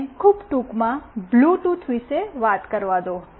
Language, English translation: Gujarati, Let me very briefly talk about Bluetooth